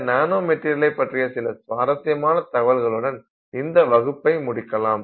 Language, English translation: Tamil, So, now let's close this class by looking at some interesting encounters of the nanokine